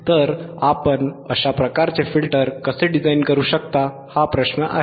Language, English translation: Marathi, So, how you can design this kind of filter right, that is the question